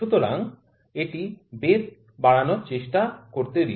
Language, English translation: Bengali, So, let me try to increase the thickness this one